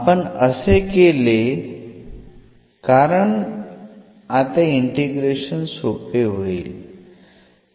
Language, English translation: Marathi, We have done this because now the integration will be easier